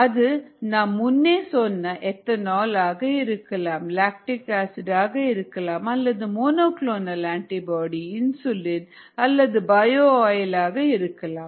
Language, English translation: Tamil, it could be the ethanol that we talked about, the lactic acid that we talked about, the m a, bs that we talked about, the insulin that we talked about or the bio oil that we talked about